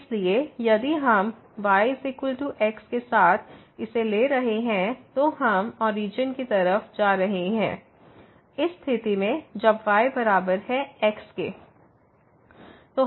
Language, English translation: Hindi, So, if we take along is equal to here, we are approaching to the origin and in this case so when is equal to